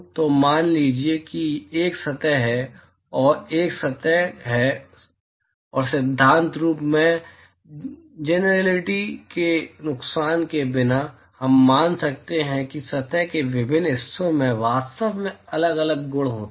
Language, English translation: Hindi, So, let us say that there is there is a surface i and, there is another surface and in principle, without loss of generality, we could assume that different parts of the surface are actually having different properties